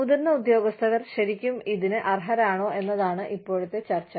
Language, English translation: Malayalam, And, the current debate is that, are the senior officials, really worth it